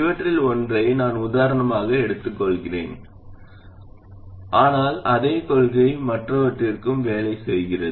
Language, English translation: Tamil, I will take one of these as example, but exactly the same principle works for anything else